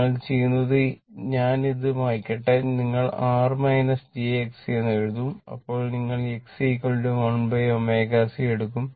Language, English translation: Malayalam, What we do let me delete it, what you do if you write R minus j X c, then you will take X c is equal to 1 upon omega c right